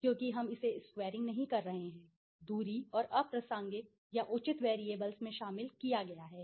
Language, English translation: Hindi, Because we are not squaring it right, the distance and the inclusion of irrelevant or in appropriate variables